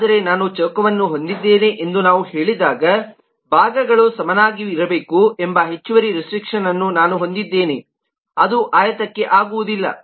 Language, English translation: Kannada, but when we say i have a square, then i have the additional restriction that the sides will have to be equal, which is not so for the rectangle